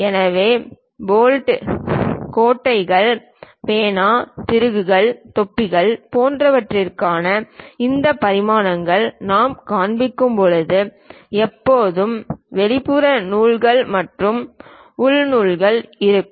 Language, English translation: Tamil, So, when you are showing these dimensioning for bolts, nuts, pen, screws, caps and other kind of things there always be external threads and internal threads